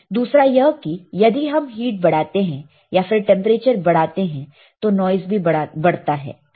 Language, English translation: Hindi, Second is if we increase the heat more or increase the temperature, the noise will increase